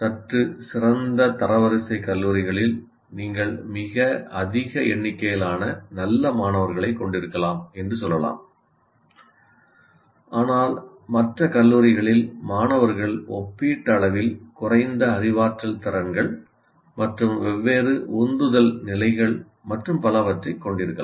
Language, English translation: Tamil, So you may have a very large number of very good students, let us say in slightly better ranked colleges, but in other colleges you may have people with relatively lower cognitive abilities and maybe different motivation levels and so on